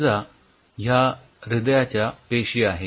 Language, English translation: Marathi, for example, these are your heart cells